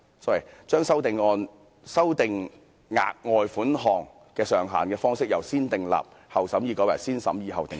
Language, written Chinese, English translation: Cantonese, 第三，修訂額外款項的上限方式由"先訂立後審議"改為"先審議後訂立"。, The third proposal is that amendments to the ceiling of the further sum shall be enacted through positive vetting instead of negative vetting